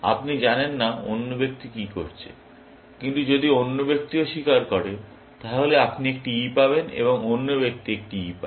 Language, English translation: Bengali, You do not know what is the other person is doing, but if the other person also confesses, then you get an E, and other person gets an E